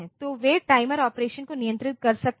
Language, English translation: Hindi, So, they can control the timer operation